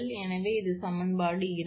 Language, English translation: Tamil, So, this is equation two